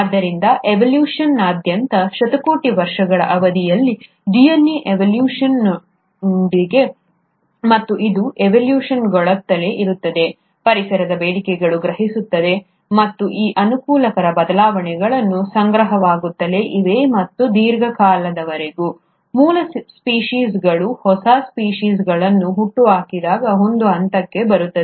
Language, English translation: Kannada, So, there are ways by which across evolution, over a period of billions of years, the DNA has evolved, and it keeps evolving, sensing demands of the environment, and these favourable changes have went on accumulating and over a long period of time, a point will come when the original species will end up giving rise to a newer species